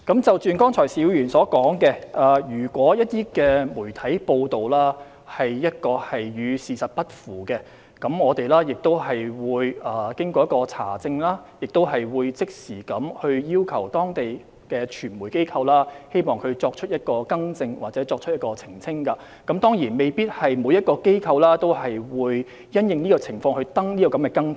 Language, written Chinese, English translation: Cantonese, 就剛才邵議員所說，如果一些媒體的報道與事實不符，我們經查證後會即時要求當地的傳媒機構作出更新或澄清，但當然未必每個機構也會就相關情況刊出更正。, In response to Mr SHIUs remark just now if some media reports are incorrect on account of the facts after verification we will immediately request the local media organizations to make an update or clarification . But certainly not every organization will publish a corrigendum for such cases